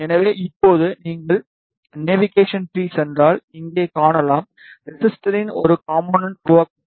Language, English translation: Tamil, So, now, you can see here if you go in to navigation tree one component of resistor has been created